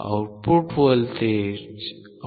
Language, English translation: Marathi, The output voltage is 2